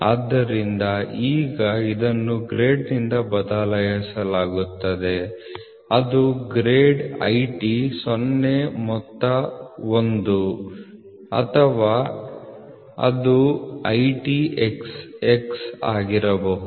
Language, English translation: Kannada, So, now this is replaced by a grade which grade is IT0 sum 1 or it can be IT xx